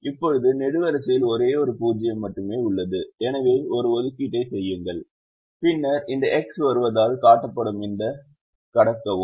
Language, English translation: Tamil, now the column has only one zero, so make an assignment and then cross this, which is shown by this x coming now